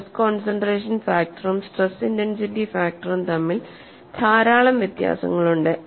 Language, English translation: Malayalam, So, this brings out what is the essential difference between stress concentration factor and stress intensity factor